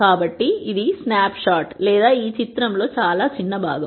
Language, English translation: Telugu, So, this would be a snapshot or a very small part of this picture